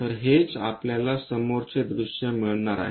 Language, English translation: Marathi, So, that is what we are going to get as front view